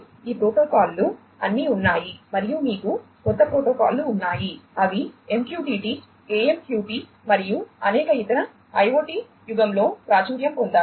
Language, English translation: Telugu, So, all these protocols have been there plus you have new protocols such as MQTT, AMQP and many others which have become popular in the IoT era